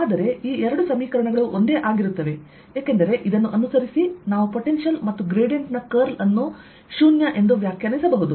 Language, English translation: Kannada, but these two equations are one and the same thing, because from this follows that i, we can define a potential, and curl of a gradient is zero